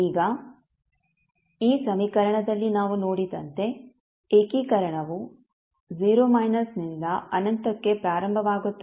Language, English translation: Kannada, Now, what we saw in this equation, the integration starts from 0 minus to infinity